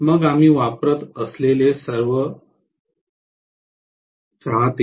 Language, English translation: Marathi, Then all the fans that we use